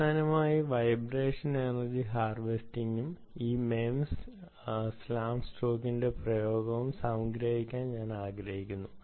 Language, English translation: Malayalam, finally, i wanted to summarize ah, the vibration, ah, energy harvesting and this thing about these, this application of this mems ah, hm slam stake